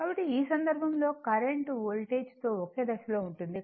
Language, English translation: Telugu, So, in this case, current will be in phase with voltage